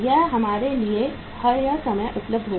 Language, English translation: Hindi, This will be all the times available to us